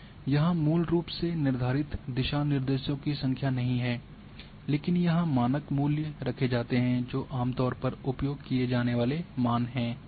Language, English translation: Hindi, There is no basically fixed number of guidelines here, but generally the default values are kept which are commonly used values